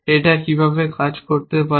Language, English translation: Bengali, How it can operate